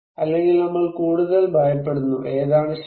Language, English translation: Malayalam, Or, are we are more afraid, which one true